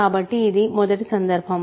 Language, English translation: Telugu, So, this is case 1